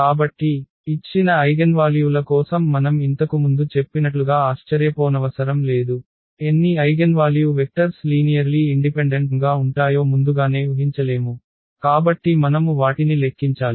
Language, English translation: Telugu, So, not surprising as I said before that for given eigenvalues we cannot predict in advance at how many eigenvalue vectors will be linearly independent so, we have to compute them